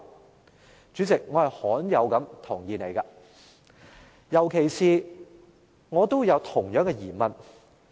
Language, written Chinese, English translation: Cantonese, 代理主席，我罕有地同意妳，特別是我都有相同的疑問。, Deputy President very rarely I agree with you especially when I have the same query